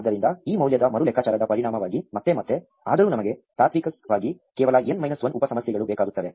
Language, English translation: Kannada, So, as a result of this re computation of the same value again and again, though we in principle only need n minus 1 sub problems